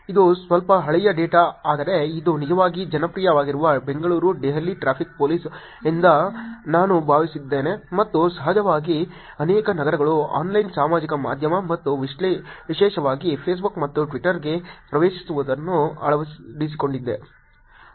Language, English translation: Kannada, This is slightly outdated data but I think this is Bangalore, Delhi Traffic Police which are actually popular, and of course many cities have actually adopted getting on to Online Social Media and particularly Facebook and Twitter